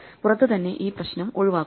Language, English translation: Malayalam, Outside this problem is avoided